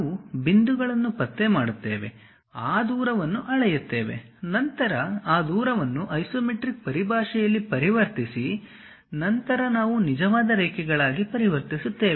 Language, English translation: Kannada, We locate the points, measure those distance; then convert those distance in terms of isometric, then we will convert into true lines